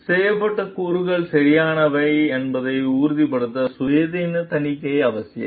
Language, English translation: Tamil, Independent auditing to make sure that the claims made are correct